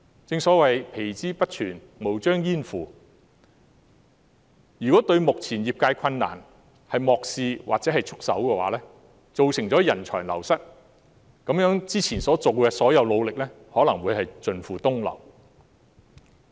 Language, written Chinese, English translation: Cantonese, 正所謂"皮之不存，毛將焉附"，如果政府漠視業界目前的困難或束手不顧，便會造成人才流失，那麼之前的所有努力便可能會盡付東流。, If the Government ignores the current difficulties of the industry or sits with folded arms it will lead to wastage of talents . Then all the earlier efforts may come to nought